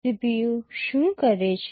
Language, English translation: Gujarati, What does the CPU do